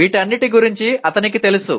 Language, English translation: Telugu, He is aware of all these